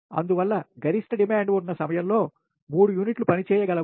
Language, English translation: Telugu, therefore, during that period of maximum demand, three units can operate